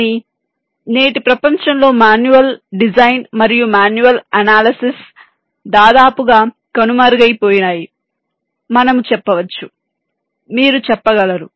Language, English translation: Telugu, but in todays world, manual design and manual ah, you can say analysis is almost ruled out